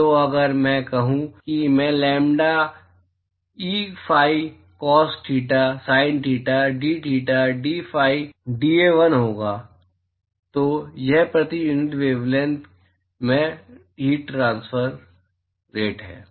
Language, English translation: Hindi, So, if I put that that will be I lambda,e phi cos theta, sin theta, dtheta dphi dA1 so that is the that is the heat transfer rate per unit wavelength